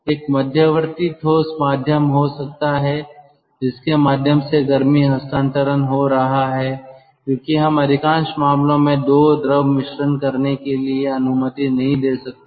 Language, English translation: Hindi, there could be a intermediates, ah, solid medium through which heat transfer is taking place, because ah, we, we cannot allow in most of the cases the two fluid streams to mix